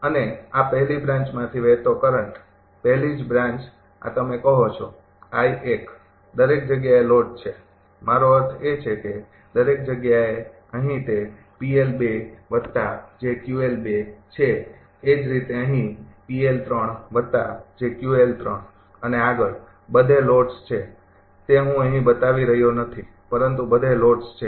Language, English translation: Gujarati, And current flowing through this first branch, very first branch this is you say I 1 everywhere load is there, I mean everywhere for example, here it is P l 2 plus j Q l 2 say similarly here, P l 3 plus j Q l 3 and so on, everywhere loads are there I am not showing here, buy everywhere loads are there